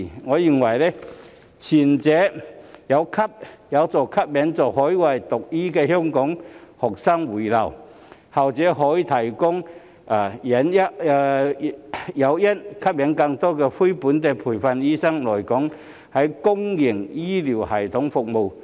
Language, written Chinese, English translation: Cantonese, 我認為，前者有助吸引在海外讀醫的香港學生回流，後者則可以提供誘因，吸引更多非本地培訓醫生來港在公營醫療系統服務。, I think the former will help attract the return of Hong Kong students who studied medicine overseas while the latter can provide incentives to attract more NLTDs to come to Hong Kong and serve in the public healthcare system